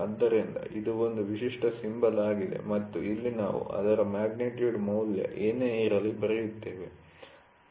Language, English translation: Kannada, So, this is a typical symbol and here we write down the magnitude value whatever it is, ok